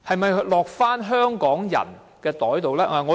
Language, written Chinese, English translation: Cantonese, 是否落入香港人的口袋？, Will they go to the pockets of Hong Kong people?